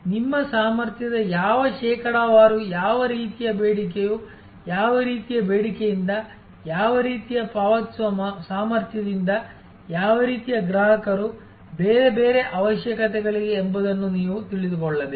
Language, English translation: Kannada, Also you have to know that what kind of demand as what kind of what percentage of your capacity is serve by what kind of demand, what kind of paying capacity, what kind of customers, what are there are different other requirements